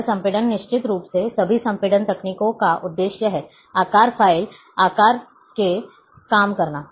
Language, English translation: Hindi, This compression is of course, the purpose of all compression techniques, to reduce the size file size